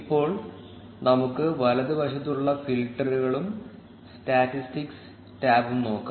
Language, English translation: Malayalam, Now, let us look at the filters and statistics tab on the right